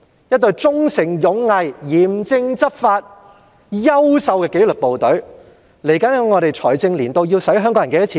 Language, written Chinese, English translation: Cantonese, 一隊忠誠勇毅、嚴正執法及優秀的紀律部隊，在未來的財政年度要花香港人多少錢呢？, How much Hong Kong people have to pay to maintain this excellent disciplinary force which serves with honour duty and loyalty and strictly enforces the law in the coming financial year?